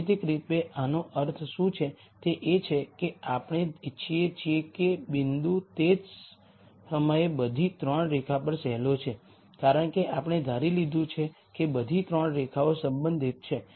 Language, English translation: Gujarati, Geometrically what this means is we want the point to lie on all the 3 lines at the same time because we have assumed all 3 lines are active concerned